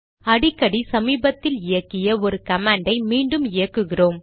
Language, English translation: Tamil, Often we want to re execute a command that we had executed in the recent past